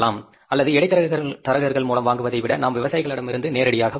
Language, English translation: Tamil, Or rather than buying it through middlemen, we can buy directly from the farmers, companies can support the farmers